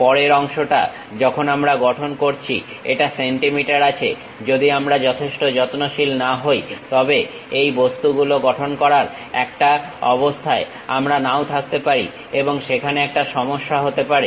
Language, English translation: Bengali, The next part when we are constructing it in centimeters, if we are not careful enough these objects we may not be in a position to make and there will be a problem